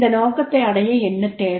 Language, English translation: Tamil, For this purpose, what is required